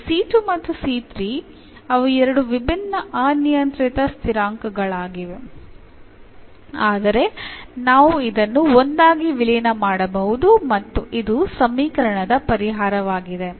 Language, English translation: Kannada, Now, the c 2 and c 3 they are two different arbitrary constants, but we can merge into one and meaning that this is the solution of the equation